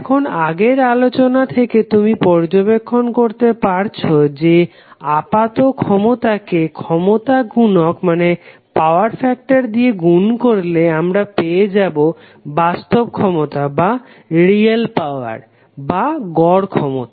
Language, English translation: Bengali, Now from the previous expression you can also observe that apparent power needs to be multiplied by a factor to compute the real or average power